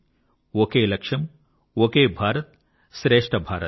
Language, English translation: Telugu, Ek Bharat, Shreshth Bharat